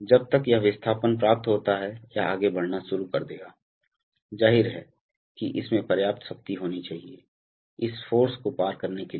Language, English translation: Hindi, So till this displacement is achieved, this will start moving at, obviously this should have enough power to, you know overcome this force